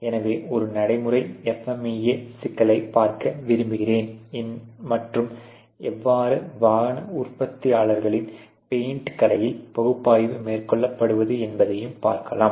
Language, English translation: Tamil, So, we want do actually now start looking at a practical FMEA problem and how the analysis has been carried out in one of the automotive manufactures in their paint shop ok